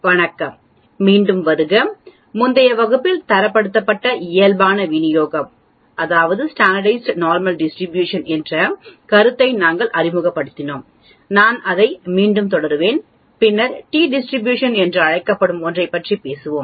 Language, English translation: Tamil, Hello welcome once again, we introduced the concept of a Standardized Normal Distribution in the previous class, I will continue on that again and then later on we will talk about something called t distribution